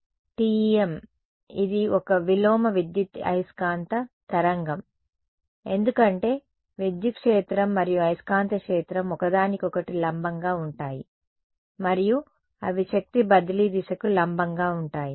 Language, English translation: Telugu, TEM its a Transverse Electromagnetic wave because the electric field and magnetic field are perpendicular to each other and they are perpendicular to the direction of power transfer